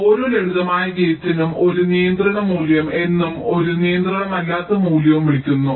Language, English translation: Malayalam, for every simple gate, we define something called a controlling value and a non controlling value